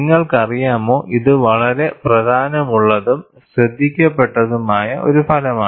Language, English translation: Malayalam, You know, this is a very very important and significant result